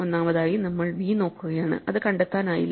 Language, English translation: Malayalam, First of all, if we were looking for v and then we do not find it